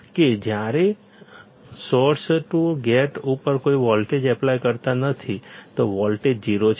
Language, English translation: Gujarati, That when we apply no gate to source voltage, voltage is 0